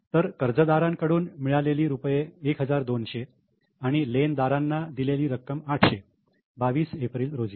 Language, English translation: Marathi, So, two debtors 1 2 00 and amount paid to creditors is by creditors on 22nd April 800